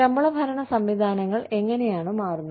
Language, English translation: Malayalam, How are, the salary administration systems, changing